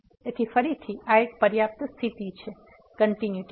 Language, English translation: Gujarati, So, that is the one sufficient condition for the continuity again